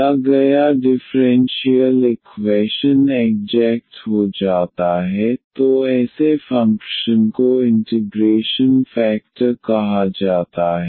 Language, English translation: Hindi, The given differential equation becomes exact then such a function is called the integrating factor